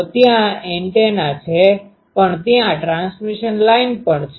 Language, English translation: Gujarati, So, there is an antenna but also there is a transmission line